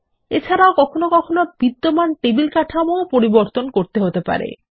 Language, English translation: Bengali, And sometimes we will need to modify existing table structures